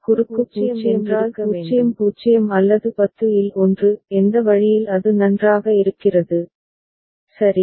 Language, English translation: Tamil, Cross 0 means one of 00 or 10; either way it is fine, ok